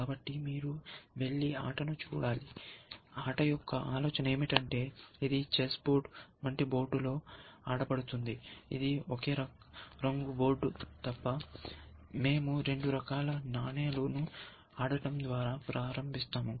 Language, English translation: Telugu, So, maybe you should go and look up the game, the idea of the game is that, it is played on a chess board, like board, except that it is a single color board, and we start of by playing, two kinds of coins